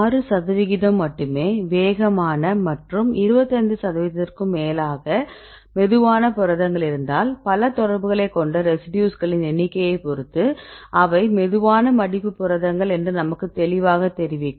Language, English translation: Tamil, So, here we see only 6 percent in the fastest and more than 25 percent in the case of the slowest proteins this will clearly tell you the proteins right which containing more number of residues with multiple contacts right they are slow folders